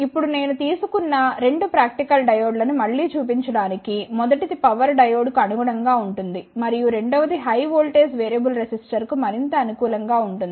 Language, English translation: Telugu, Now, just to show again the applications I have taken the 2 practical diodes the first one is corresponding to the power diode and the second one is more suitable for the high voltage variable resistor